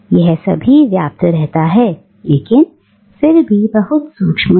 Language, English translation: Hindi, It remains all pervasive but it remains very subtle